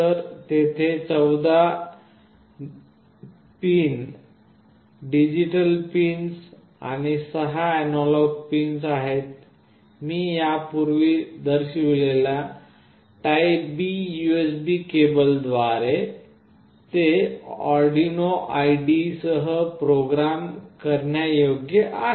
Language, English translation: Marathi, So, there are 14 digital pins and 6 analog pins, and they is programmable with Arduino IDE via this typeB USB cable which I have already shown